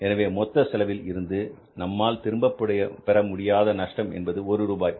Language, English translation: Tamil, So we are not able to recover the total cost even there is a loss of 1 rupee in the cost